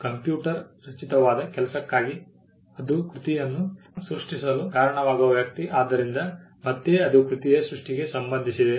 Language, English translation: Kannada, For computer generated work it is the person who causes the work to be created, so again it is tied to the creation of the work